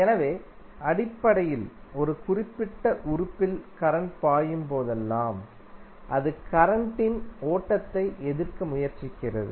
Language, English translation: Tamil, So, basically whenever the current flows in a particular element it tries to oppose the flow of current